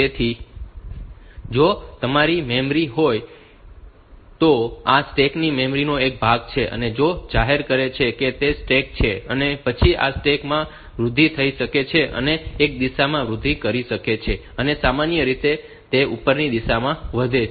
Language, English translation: Gujarati, So, if this is your memory, then this stack is a part of the memory, which is declare which is the stack and then this stack can grow in this stack can grow in one direction, this they normally it grows in the upward direction